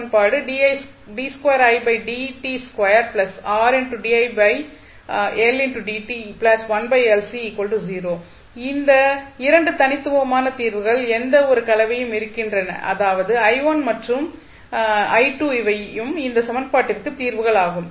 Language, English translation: Tamil, So, any linear combination of the 2 distinct solutions that is i1 and i2 is also a solution of this equation